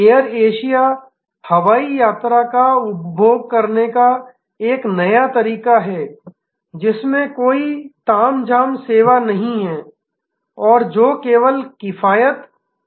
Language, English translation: Hindi, Air Asia, a new way of consuming air travel with no frills service and emphasis on economy